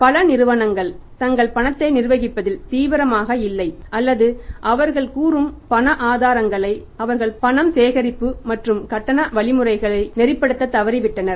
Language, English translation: Tamil, Many companies who are not serious in managing their cash or their say cash resources they are failing to streamline the cash collection and the payment mechanisms